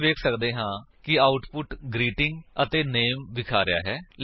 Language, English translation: Punjabi, We can see that the output shows the greeting and the name